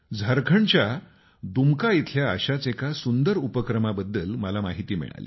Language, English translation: Marathi, I was informed of a similar novel initiative being carried out in Dumka, Jharkhand